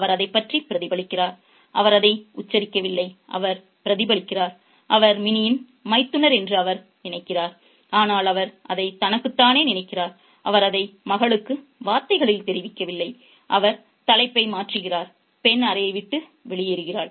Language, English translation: Tamil, He doesn't spell it out, he reflects, he thinks that she is Minnie's sister in law, but he thinks that to himself and he doesn't convey it in words to the daughter and he changes the topic and the girl leaves the, leaves the room